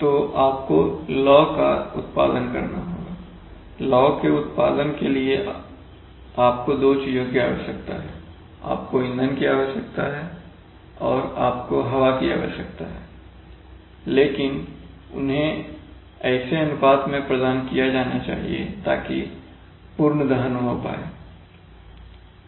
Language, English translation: Hindi, So you have to produce flame, for producing flame you need two things, you need the fuel and you need the air, but they must be provided in such a ratio such that complete combustion takes place